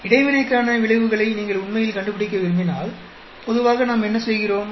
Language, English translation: Tamil, If you want to really find out effects for interaction generally what do we do